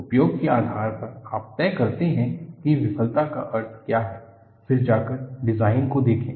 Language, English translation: Hindi, Depending on the application, you establish what the meaning of a failure is, then go on look at the design